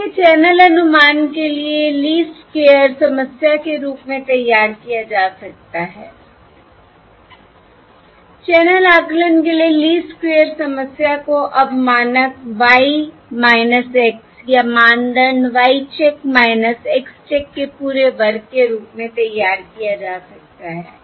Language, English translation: Hindi, Therefore, the Least squares problem for channel estimation can be formulated as: the least squares problem for channel estimation can now be formulated as norm Y minus X or norm Y check minus X check whole square